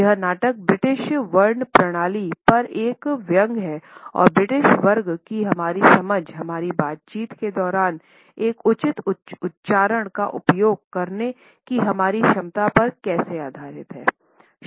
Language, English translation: Hindi, This play is a satire on the British class system and how our understanding of the British class is based on our capability to use a proper accent during our conversation